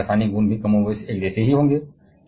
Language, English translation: Hindi, So, their chemical properties will be even more or less the same